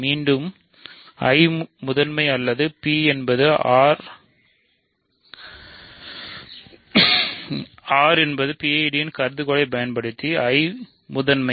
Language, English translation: Tamil, So, again using the hypotheses that I is principal or P is R is PID, I is principal